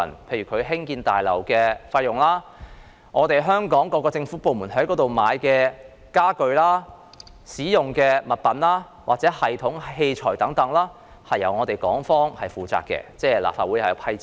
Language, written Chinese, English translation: Cantonese, 例如，興建大樓的部分費用，以及香港各政府部門購買大樓內使用的家具、物品、系統和器材等開支，皆由港方負責，由立法會撥款。, For example part of the building construction cost the expenditure on procuring furniture and fixtures items systems and equipment for use by various government departments of Hong Kong in the building will be afforded by Hong Kong with funding approved by the Legislative Council